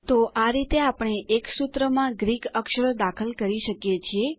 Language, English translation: Gujarati, So this is how we can introduce Greek characters in a formula